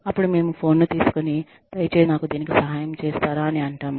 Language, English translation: Telugu, We just pick up the phone, and say, can you please help me with it